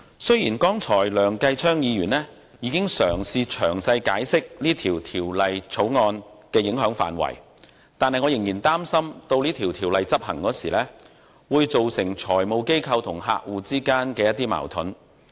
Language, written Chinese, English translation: Cantonese, 雖然剛才梁繼昌議員已嘗試詳細解釋《條例草案》的影響範圍，但我仍然擔心，執行經修訂的《稅務條例》時，會導致財務機構與客戶之間出現矛盾。, Although Mr Kenneth LEUNG tried to explain the implications of the Bill in detail earlier on I am still concerned that the implementation of the amended Inland Revenue Ordinance IRO will lead to conflicts between FIs and their clients